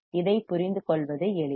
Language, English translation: Tamil, This is easy to understand